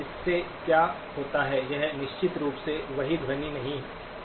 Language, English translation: Hindi, What does the; it definitely will not sound the same